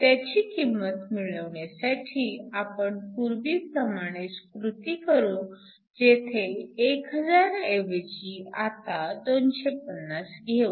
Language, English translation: Marathi, So, this we can get by following the same procedure where instead of having it as thousand, we now have it as 250